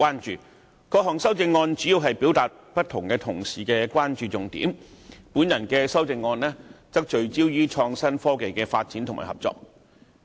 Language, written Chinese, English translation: Cantonese, 主要來說，各項修正案表達了各同事不同的關注重點，而我提出的修正案則聚焦於創新科技的發展及合作。, All the amendments generally focus on the Members respective concerns . As for my own amendment it focuses on the development of innovation and technology IT and the cooperative efforts required